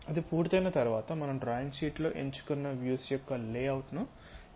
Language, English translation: Telugu, Once that is done we have to choose the layout of the selected views on a drawing sheet